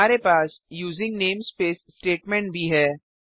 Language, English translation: Hindi, We have the using namespace statement also